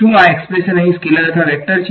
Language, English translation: Gujarati, Is this expression over here a scalar or a vector